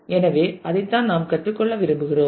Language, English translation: Tamil, So, that is that is what we want to learn